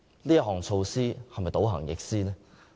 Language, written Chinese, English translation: Cantonese, 這措施是否倒行逆施呢？, Isnt it a retrogressive measure?